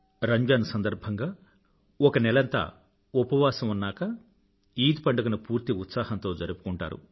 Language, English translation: Telugu, After an entire month of fasting during Ramzan, the festival of Eid is a harbinger of celebrations